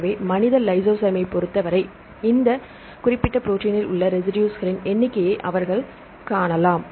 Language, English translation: Tamil, So, for the human lysozyme that is why they can see the number of residues right in this particular protein